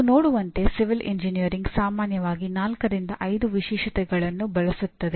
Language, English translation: Kannada, So as you can see civil engineering generally uses something like four to five specialties